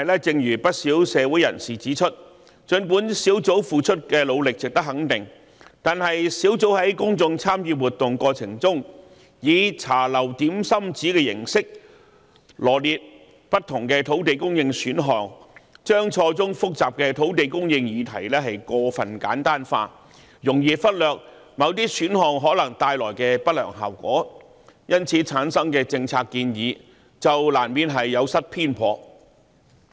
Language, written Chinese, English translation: Cantonese, 正如不少社會人士指出，儘管專責小組付出的努力值得肯定，但專責小組在公眾參與活動中，以"茶樓點心紙"的形式羅列不同的土地供應選項，將錯綜複雜的土地供應議題過分簡單化，容易忽略某些選項可能帶來的不良後果，由此產生的政策建議就難免有失偏頗。, As pointed out by many members of the community the efforts of the Task Force are worthy of recognition but the Task Force set out different land supply options in the public engagement exercise like a dim sum order form oversimplifying the intricate land supply issue . Adverse consequences which might be brought by certain options would easily be overlooked . The resulting policy recommendations would inevitably be biased